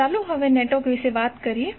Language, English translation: Gujarati, Now let us talk about the network